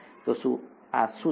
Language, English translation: Gujarati, So what are these